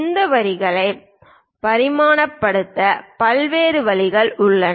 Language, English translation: Tamil, There are different ways of dimensioning these lines